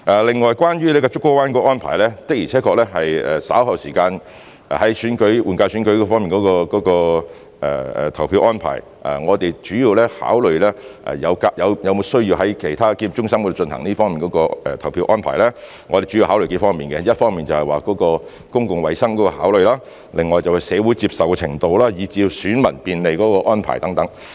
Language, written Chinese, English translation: Cantonese, 另外，關於竹篙灣的安排，的而且確，在稍後時間，關於換屆選舉的投票安排，我們考慮是否有需要在其他檢疫中心作出這方面的投票安排時，我們主要考慮數方面，一方面是公共衞生的考慮，另外是社會的接受程度，以至便利選民的安排等。, In addition speaking of the arrangements at Pennys Bay regarding the voting arrangements for the General Election it is true that when we consider later on whether it is necessary to make such voting arrangements at other quarantine centres we will mainly consider several aspects one of them is public health considerations while other aspects include social acceptance and arrangements to facilitate the electors etc